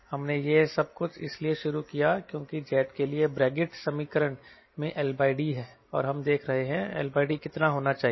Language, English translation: Hindi, we started all this thing because that brevard equation for jet has l by d and we are looking for how much should be the l by d